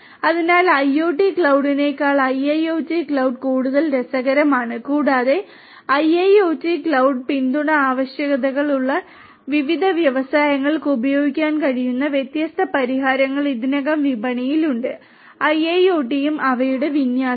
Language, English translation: Malayalam, So, IIoT cloud rather than IoT cloud is more interesting and there are different; different solutions already in the market that could be used by different industries to who have requirements for support of IIoT; IoT and their deployment